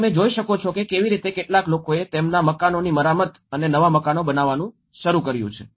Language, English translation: Gujarati, So what you can see like how some people have started repairing their houses and building the new houses